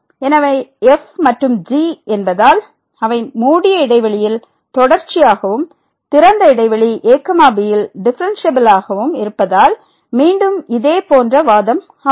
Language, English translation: Tamil, So, again the similar argument since and they are continuous in closed interval and differentiable in the open interval